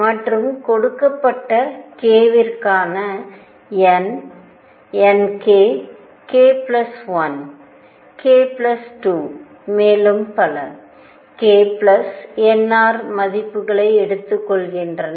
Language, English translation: Tamil, Also n for a given k who took values n k, k plus 1, k plus 2 and so on k plus n r